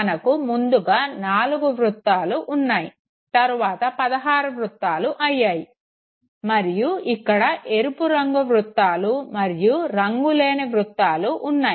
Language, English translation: Telugu, We had just know four circles finally leading to 16 circles and we had the red color ones and the colorless circles